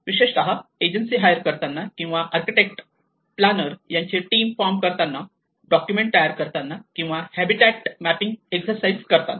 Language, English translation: Marathi, Especially, when you have to hire some agency or form a team of architects or planners to document something or to do a habitat mapping exercise